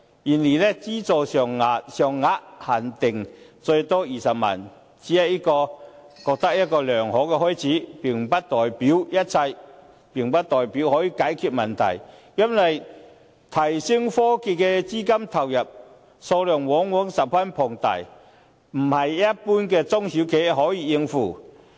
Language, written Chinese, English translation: Cantonese, 然而，資助金額限定最多20萬元，我認為這只是良好的開始，並不代表一切，並不代表可以解決問題；因為用作提升科技的資金投入，數量往往十分龐大，不是一般的中小企可以應付。, However the amount of subsidy is capped at 200,000 . In my opinion this is only a good start but does not represent everything we might consider or mean that the problem can be resolved . It is because huge amount of money usually has to be invested in order to upgrade technological equipment and this cannot be afforded by general SMEs